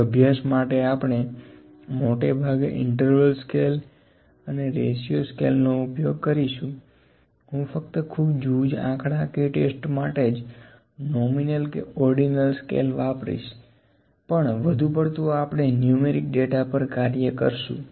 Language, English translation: Gujarati, In probability distributions, we will use interval and ratio scales mostly, I will just use the nominal and ordinal skills to discuss about the few statistical tests, but most of the times we will work on the numeric data